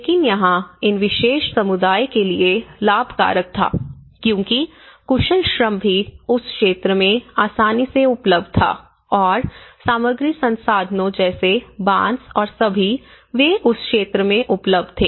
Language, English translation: Hindi, But here, the benefits for these particular community was because the skilled labour was also easily available in that region number one and the material resources many of the resources bamboo and all, they are also available in that region